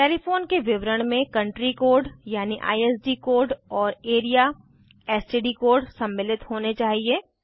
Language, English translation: Hindi, Telephone details should include Country code i.e ISD code and Area/STD code E.g